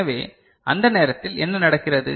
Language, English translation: Tamil, So, at that time what is happening